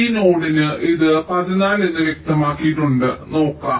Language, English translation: Malayalam, for this node it was specified as fourteen